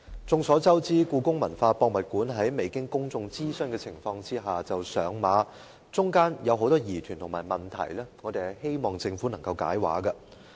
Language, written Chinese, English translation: Cantonese, 眾所周知，香港故宮文化博物館在未經公眾諮詢的情況下上馬，中間有很多疑團和問題，我們希望政府能夠"解畫"。, As known to all the Hong Kong Palace Museum HKPM project was endorsed without undergoing public consultation . As there are many doubts and questions we hope the Government would provide explanations